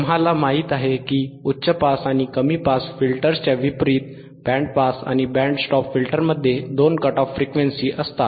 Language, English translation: Marathi, We know that unlike high pass and low pass filters, band pass and band stop filters have two cut off frequencies have two cut off frequency right,